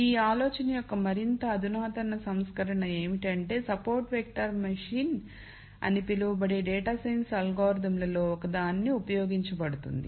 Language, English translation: Telugu, A more sophisticated version of this idea is what is used in one of the data science algorithms called support vector machine